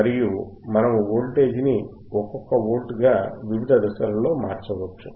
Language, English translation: Telugu, And we can vary the voltage in the steps of 1 volts